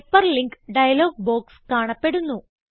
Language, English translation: Malayalam, The Hyperlink dialog box appears